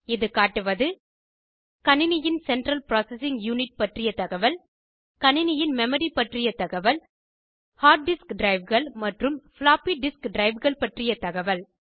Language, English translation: Tamil, This is the BIOS system displaying information about the computers central processing unit, information about how much memory the computer has, and information about the hard disk drives and floppy disk drives